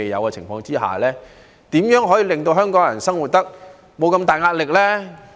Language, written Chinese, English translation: Cantonese, 在這情況下，如何令香港人生活得沒這麼大壓力？, Under these circumstances how can we enable Hong Kong people to live with less stress?